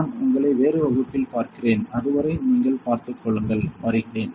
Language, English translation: Tamil, So, I will see you in some other class till then you take care; bye